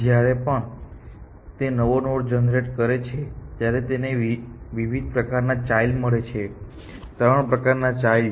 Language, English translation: Gujarati, Any time it generates a new node n, it gets different kinds of children three different kinds of children